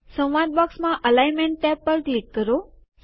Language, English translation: Gujarati, Click on the Alignment tab in the dialog box